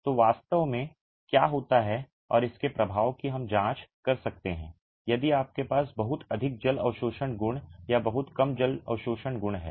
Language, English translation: Hindi, So, what really happens and the effect of this we can examine if you have very high water absorption properties or very low water absorption properties